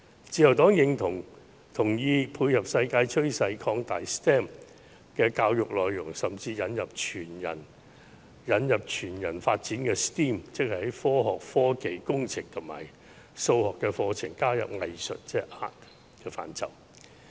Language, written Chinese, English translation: Cantonese, 自由黨認同配合世界趨勢，擴大 STEM 的教育內容，甚至引入全人發展的 STEAM， 即是在科學、科技、工程及數學的課程加入藝術的範疇。, To cope with the world trend the Liberal Party supports enriching the content of STEM education and even introducing STEAM by adding the Art subject to STEM for whole - person development